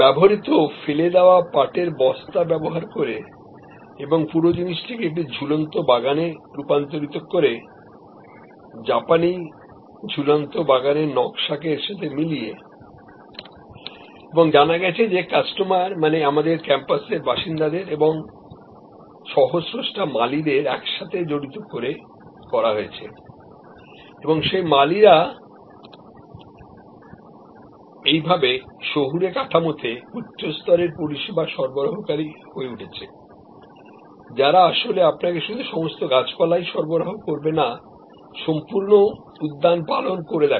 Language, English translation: Bengali, The used thrown away jute sacks and converted the whole thing in to a hanging garden, they adopted the Japanese hanging garden design integrated that with this and understand the this was done in a way involving the customer number of residents of our campuses co creator involving the gardeners who will become now a higher level service provider in an urban citing, who will actually supply you all the gardening not only the plants